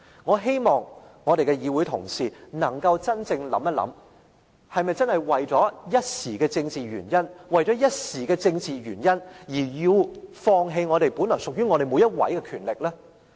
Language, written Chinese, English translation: Cantonese, 我希望我們的議會同事能夠真正想一想，是否真的為了一時的政治原因而要放棄本來屬於我們每一位的權力？, I call on Honourable colleagues to give a serious thought to this . Are we really ready to give up our power just for the sake of a temporary political reason?